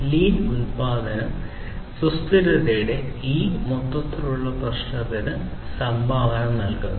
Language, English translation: Malayalam, And lean production basically contributes to this overall issue of sustainability